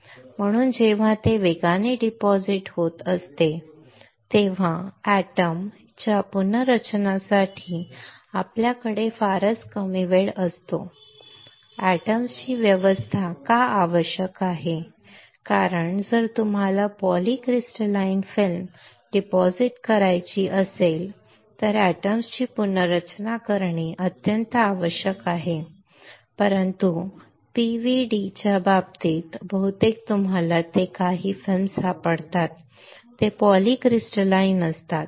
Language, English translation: Marathi, So, when it is depositing rapidly we have very little time for the rearrangement of the atoms why the arrangement of atoms is required, because if you want to deposit a polycrystalline film then the rearrangement of atoms are extremely important, but in case of PVD most of the time what you find is the films is not polycrystalline